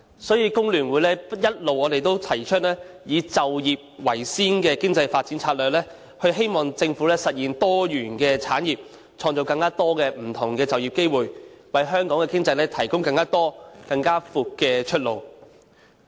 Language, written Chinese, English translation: Cantonese, 因此，工聯會一直提出以就業為先的經濟發展策略，希望政府實現多元產業，以創造更多不同的就業機會，為香港的經濟提供更多及更廣闊的出路。, For that reason the Hong Kong Federation of Trade Unions FTU has always advocated an economic development strategy that gives priority to employment . FTU hopes that the Government can implement industrial diversification with a view to creating more jobs and broadening the prospects for the Hong Kong economy